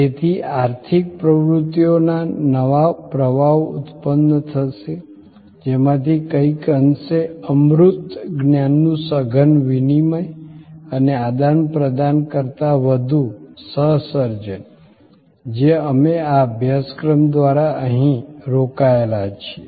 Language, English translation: Gujarati, So, there will be new streams of economic activities that will be generated, from this somewhat intangible knowledge intensive exchange and more than exchange, co creation that we are engaged in here through this course